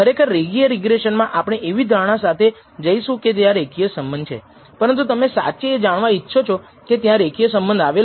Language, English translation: Gujarati, Of course, in linear regression we are going at with the assumption there exists a linear relationship, but you really want to know whether such a relationship linear relationship exists